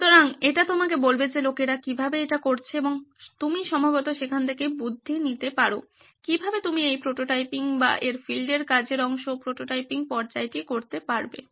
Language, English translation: Bengali, So that will tell you how people have done it and you can probably take tips from there as to how you can do this prototyping or the field work part of it, prototyping stage